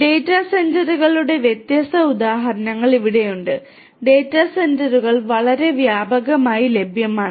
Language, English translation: Malayalam, Here there are different examples of data centres, data centres are quite widely available